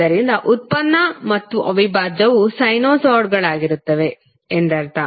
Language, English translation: Kannada, So, it means that the derivative and integral would itself would be sinusoids